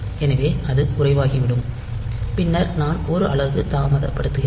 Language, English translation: Tamil, So, it will become low and then I am putting a delay of one unit